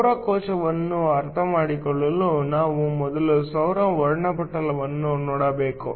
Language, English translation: Kannada, To understand the solar cell, we first need to take a look at the solar spectrum